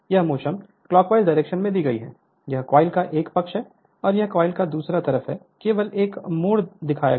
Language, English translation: Hindi, This is the motion is given in clockwise direction, this is one side of the coil and this is other side of the coil only one turn it is shown